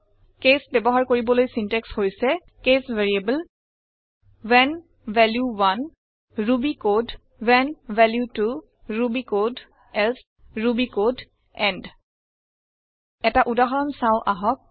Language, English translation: Assamese, The syntax for using case is: case variable when value 1 ruby code when value 2 ruby code else ruby code end Let us look at an example